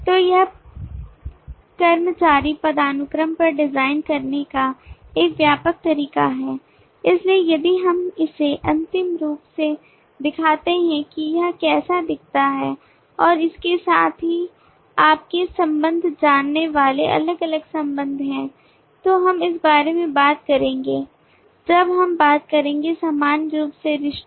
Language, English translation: Hindi, so this is the broad way of designing on the employee hierarchy so if we show it in the final form this is how it looks and along with that there are different other relations that they perform we will talk about this more when we talk about the relationships in general